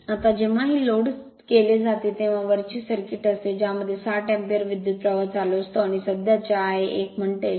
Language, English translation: Marathi, Now, when it is loaded this is the circuit at that time it is driving current of 60 ampere right and this is the current say I a 1, r a is 0